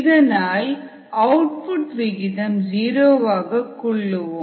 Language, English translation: Tamil, so the output rate is zero